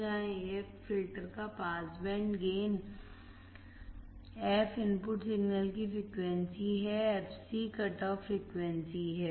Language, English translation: Hindi, Here AF is the pass band gain of the filter, f is the frequency of the input signal, fc is the cutoff frequency